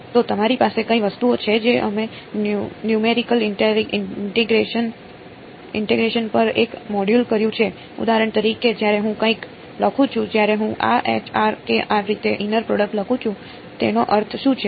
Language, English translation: Gujarati, So, what are the some of the things you have we have done one module on numerical integration right so for example, when I write something like h of r comma k of r when I write the inner product like this, what does that mean